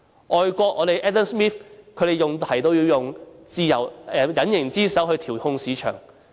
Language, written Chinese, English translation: Cantonese, 外國經濟學家 Adam SMITH 提出，要用隱形之手去調控市場。, Foreign economist Adam SMITH proposed using the invisible hand to regulate the market